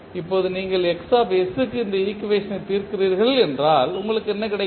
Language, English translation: Tamil, Now, if you solve for Xs this particular equation what you get